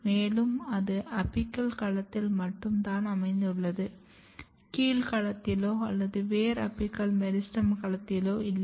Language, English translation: Tamil, You can see it is only present in the apical domain, it is not present in the basal domain or root apical meristem domain